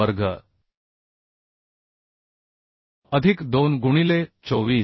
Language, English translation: Marathi, 5 square plus 2 into 24